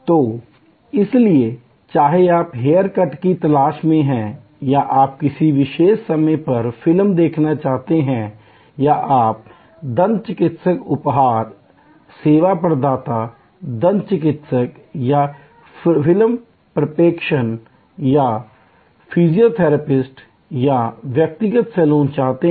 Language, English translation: Hindi, So, whether you are looking for a hair cut or you are wanting to see a movie or at a particular point of time or you are wanting to get your dental treatment, the service provider, the dentist or the movie projection or the physiotherapist or the saloon personal and you as a service consumer must be there at the same place within the same time and space frame work